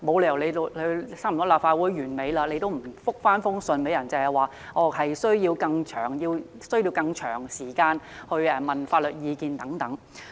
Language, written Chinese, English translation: Cantonese, 立法會會期已差不多屆滿，政府沒有理由仍不回覆，只推說需要更長時間來詢問法律意見等。, Now that the current term of the Legislative Council nears its end there is no way that the Government can justify its failure to give a reply and simply excuse itself by saying that it needs more time to seek legal advice